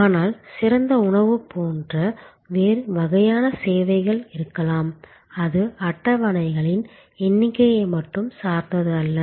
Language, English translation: Tamil, But, there can be other types of service like fine dining, it is not only depended on the number of tables